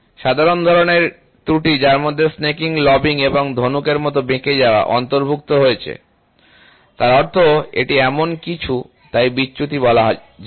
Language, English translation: Bengali, Common types of error which includes snaking, lobbing and bow, bow means it is something like this, so the deflection itself